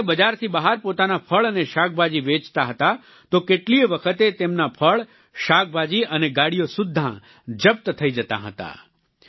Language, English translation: Gujarati, If he used to sell his fruits and vegetables outside the mandi, then, many a times his produce and carts would get confiscated